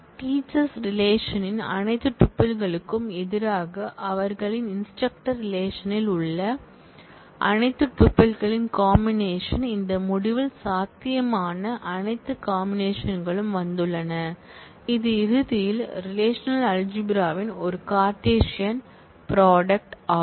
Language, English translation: Tamil, And the combination of all tuples in their instructor relation, against all tuples of the teacher’s relation all possible combinations have come in this result, which eventually is a cartesian product of the relational algebra